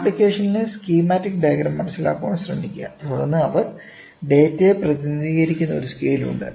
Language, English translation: Malayalam, So, try to understand a schematic diagram of the application, then, there is a scale by which they represent the data